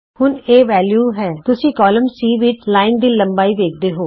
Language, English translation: Punjabi, Right now its at value so you see the length of the line in the column C